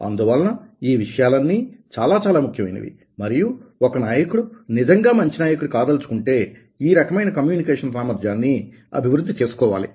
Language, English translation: Telugu, so these things are really very, very important, and a leader must develop this kind of ability, communication ability, if he wants to be a good leader